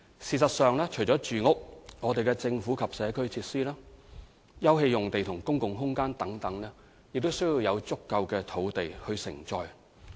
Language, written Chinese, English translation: Cantonese, 事實上，除了住屋，我們的政府及社區設施、休憩用地和公共空間等，亦必須有足夠的土地承載。, In fact apart from housing we need sufficient land to accommodate the government and community facilities open space public space and so on